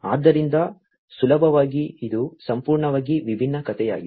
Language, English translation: Kannada, So, easily it’s a completely different story altogether